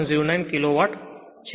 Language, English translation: Gujarati, 09 kilo watt